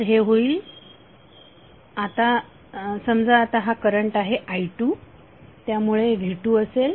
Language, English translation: Marathi, So it will become say this current is now i2, so V2 would be i2 into R